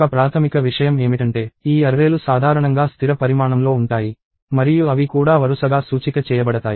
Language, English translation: Telugu, One primary thing is these arrays are usually fixed size and they are also sequentially indexed